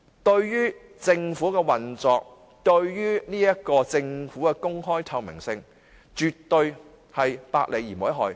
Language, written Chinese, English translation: Cantonese, 對於政府的運作、對於政府的公開透明性，絕對百利而無一害。, It will definitely be beneficial to the functioning openness and transparency of the Government